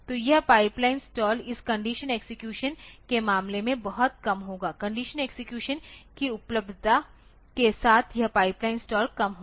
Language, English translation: Hindi, So, this pipeline stalls will be much less in case of this conditional execution with the availability of conditional execution this pipeline stalls will be less